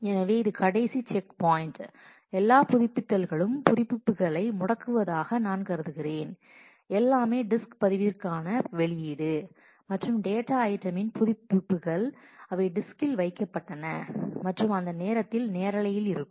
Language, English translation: Tamil, So, this is the last checkpoint where eh all updates I mean freezing the updates, everything was output to the disk the log as well as the data item updates were put to the disk and the set of transactions that are live during that time well execution in that time were recorded